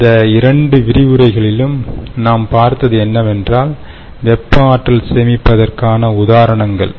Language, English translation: Tamil, on that note, and in the last two lectures, what we have seen, therefore, is thermal energy storage